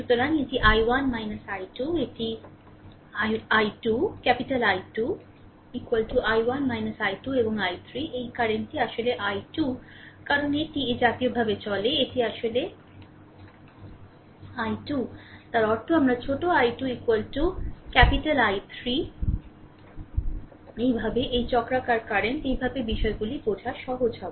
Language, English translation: Bengali, So, it is i 1 minus i 2, this is capital I 2, right is equal to i 1 minus i 2 and I 3 is equal to this current is actually i 2 because it moves like this, right, this is actually i 2; that means, my small i 2 is equal to capital I 3, this way, this cyclic current; this way things will be easier for you to understand, right